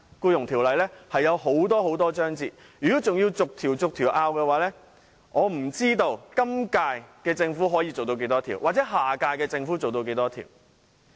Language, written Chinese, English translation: Cantonese, 《僱傭條例》有很多章節，如果要逐項爭拗，我不知今屆政府可以處理多少項，下屆政府又可以處理多少項。, There are many parts and provisions in the Employment Ordinance . If we argue about each provision I wonder how many provisions the incumbent Government can deal with and how many the next - term Government will be able to deal with